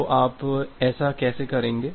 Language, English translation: Hindi, So, how will you do that